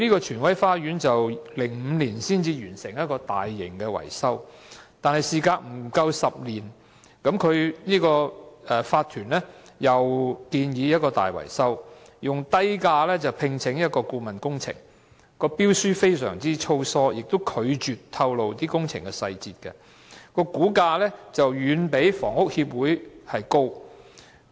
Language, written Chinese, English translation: Cantonese, 荃威花園於2005年才完成一項大型維修工程，但事隔不夠10年，業主法團又建議進行另一項大型維修工程，以低價聘請一間顧問公司，標書非常粗疏，亦拒絕透露工程的細節，估價遠比房屋協會為高。, Yet not long after that just 10 years later the owners corporation OC proposed to carry out another large - scale maintenance works project . A consultancy was employed at a low cost and the terms of the tender were drafted carelessly . They also refused to disclose the details of the maintenance works and the price quotation was much higher than that suggested by the Hong Kong Housing Society